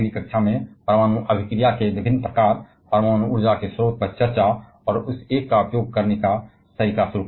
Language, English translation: Hindi, We shall be starting in the next class by seeing different kinds of nuclear reaction, and discussing the source of nuclear energy, and the mode of harnessing that one